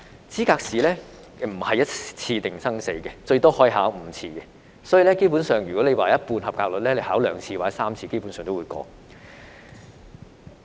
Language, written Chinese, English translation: Cantonese, 資格試並不是一次定生死，最多可以考5次，所以如果及格率是一半，考兩三次基本上也可以通過。, The candidates can take the Licensing Examination more than once five times at the most; so if the passing rate is 50 % a candidate can basically get a pass by taking the examination for two to three times